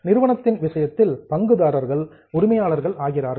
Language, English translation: Tamil, In case of company, the shareholders are the owners